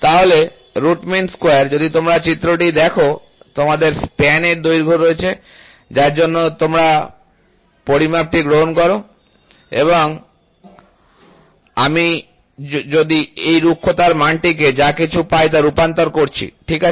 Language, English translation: Bengali, So, root mean square value, if you see the figure you have a length of span for which you take the measurement and then I am just converting this roughness value whatever you get, ok